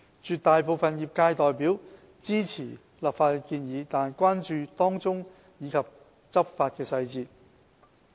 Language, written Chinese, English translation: Cantonese, 絕大部分業界代表支持立法的建議，但關注當中細節及執法詳情。, The overwhelming majority of industry representatives supports the legislative proposals but expresses concern over the particulars involved and the enforcement details